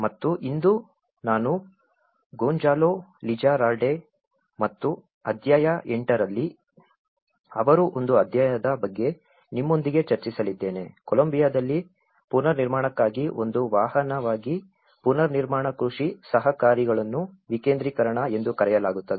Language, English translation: Kannada, And today, whatever I am going to discuss you with about the Gonzalo Lizarralde and one of his chapter in chapter 8, is called decentralizing reconstruction agriculture cooperatives as a vehicle for reconstruction in Colombia